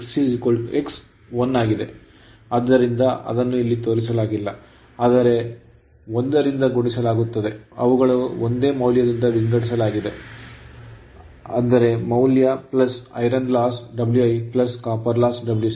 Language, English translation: Kannada, 8 power factor and x is 1, so it is not shown in here, but multiplied by 1 right, they are divided by the same value plus iron loss plus your copper loss W i plus W c